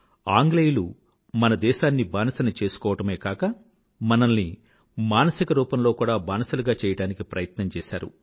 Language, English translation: Telugu, The Britishers not only made us slaves but they tried to enslave us mentally as well